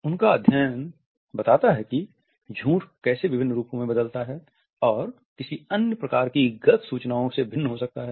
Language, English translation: Hindi, His study describes how lies vary in form and can differ from other types of misinformation